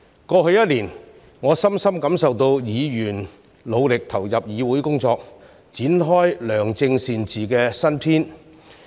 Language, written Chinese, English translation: Cantonese, 過去一年，我深深感受到議員努力投入議會工作，展開良政善治的新篇。, Over the past year I deeply felt the great efforts of Members in the work of the legislature in order to turn over a new chapter of good governance